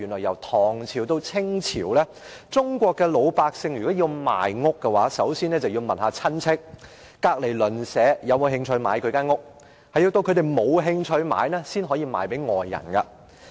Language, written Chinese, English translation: Cantonese, 由唐朝到清朝，中國老百姓如果要賣屋，首先要問親戚或鄰居是否有興趣購買，如果他們都沒有興趣，才能賣給外人。, From the Tang Dynasty to the Qing Dynasty Chinese civilians who wanted to sell their properties must first turn to their relatives and neighbours to see if they were interested in buying . If none of them was interested the property could then be sold to other people